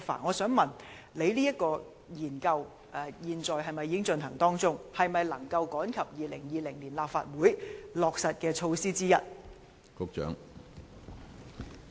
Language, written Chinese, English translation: Cantonese, 我想問局長，有關研究現時是否正在進行中，研究結果能否趕及成為在2020年立法會選舉中落實的措施之一？, May I ask the Secretary whether the relevant studies are now underway and whether the results of the studies will be available soon enough so that they can become part of the measures to be implemented in the 2020 Legislative Council election?